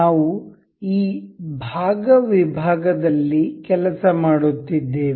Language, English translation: Kannada, We have been working on this part section